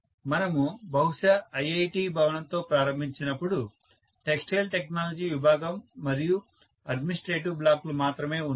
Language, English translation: Telugu, Let say when we started probably with the IIT building there was only textile technology department and the couple of administrative blocks